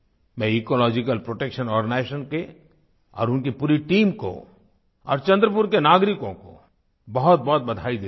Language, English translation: Hindi, I congratulate Ecological Protection Organization, their entire team and the people of Chandrapur